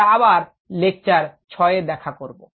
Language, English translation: Bengali, we will meet again in lecture six